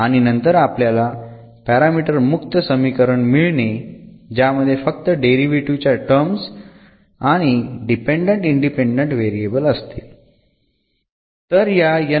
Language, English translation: Marathi, And then we will get equation which we will contain only the derivatives terms and the dependent independent variables free from that parameters